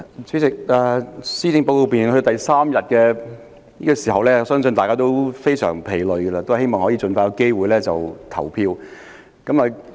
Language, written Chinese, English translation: Cantonese, 主席，來到施政報告辯論的第三天，相信大家也非常疲累，希望可以盡快有機會投票。, President on this third day of the policy debate I believe Members must be very tired and hope to cast their votes the soonest possible